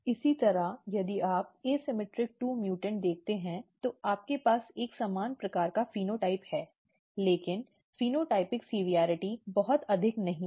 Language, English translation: Hindi, Similarly, if you look asymmetric2 mutants you have a kind of similar kind of phenotype, but phenotypic severity is not very high